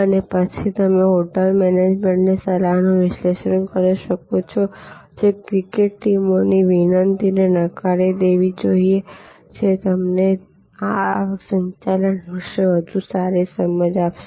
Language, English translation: Gujarati, And you can, then analyze an advice the hotel management with the, should accept the cricket teams request should decline and that will give you much better understanding of what this revenue management this all about